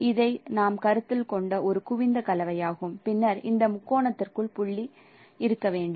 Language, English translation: Tamil, It is a convex combination we are considering and then the point should lie in this case within this triangle